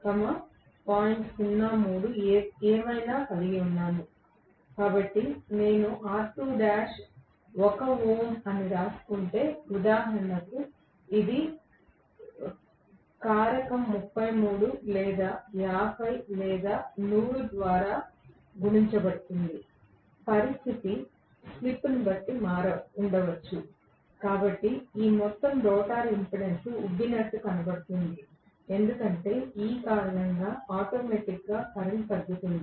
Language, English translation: Telugu, 03 whatever, so if I assume R2 dash is 1 ohm, for example, it will be multiplied by the factor of 33 or 50 or 100 as the case maybe depending on whatever the slip is, so this entire rotor impedance is going to look bloated up right because of which automatically the current will get decreased